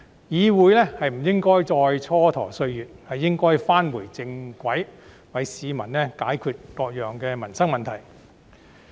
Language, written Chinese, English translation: Cantonese, 議會不應再磋跎歲月，而應該返回正軌，為市民解決各種民生問題。, The Council should waste no more time and should get back on track so as to solve various livelihood problems for the people